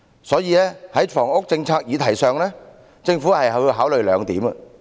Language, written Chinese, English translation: Cantonese, 所以，在房屋政策議題上，政府要考慮兩點。, Hence on the issue of the housing policy the Government needs to consider two points